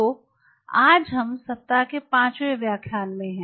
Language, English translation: Hindi, so we are in the fifth lecture